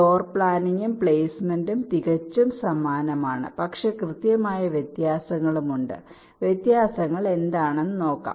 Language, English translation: Malayalam, floor planning and placement are quite similar, but there are some precise differences